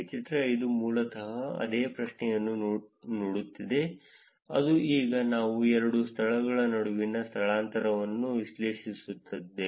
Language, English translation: Kannada, Figure 5 is basically looking at the same question which is now we are analyzing the displacement between two venues